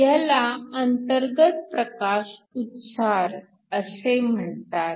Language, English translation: Marathi, This process is called an Internal Photoemission